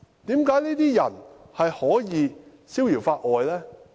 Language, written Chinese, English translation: Cantonese, 為何這些人可以逍遙法外呢？, Why could such a person get away scot - free?